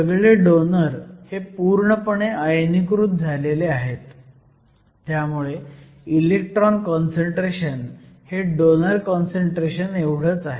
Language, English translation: Marathi, The donors are all completely ionized, so the electron concentration same as the donor concentration